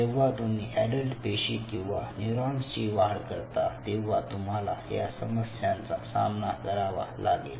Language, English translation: Marathi, so when you grow adult cells, adult neurons, adult excitable cells, these are some of the challenges, what you come across